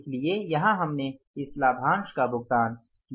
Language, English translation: Hindi, So, here we have paid this dividend